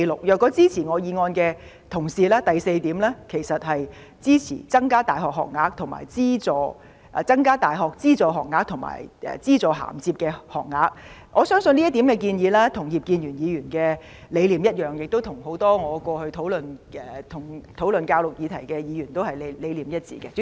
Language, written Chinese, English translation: Cantonese, 如果支持我原議案的同事，第四項應是，"增加大學資助學額和資助銜接學額"，我相信這點建議跟葉建源議員的理念一樣，亦跟很多過去跟我討論教育議題的議員的理念一致。, If Members support my original motion point 4 should read increasing the numbers of subsidized university places and subsidized top - up places . I believe the philosophy of this proposal is the same as that of Mr IP as well as those other Members who have discussed this subject on education with me